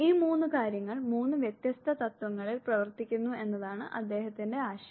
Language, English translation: Malayalam, His idea was that these 3 things work on 3 separate principles